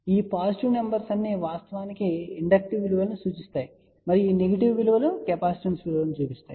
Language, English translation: Telugu, So, all these positive numbers will actually imply inductive values and all these negative values will imply a positive values